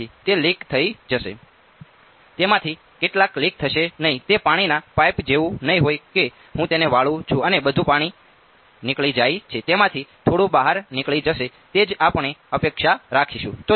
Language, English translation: Gujarati, Some of it will leak not it will its not like a pipe of water that I bend it and all the water goes out some of it will leak out that is what we will expect